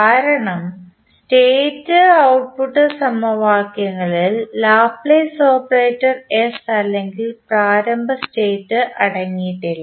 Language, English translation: Malayalam, Because the state and output equations do not contain the Laplace operator that is s or the initial states